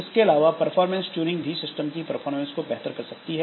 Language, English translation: Hindi, Beyond crashes, performance tuning can optimize system performance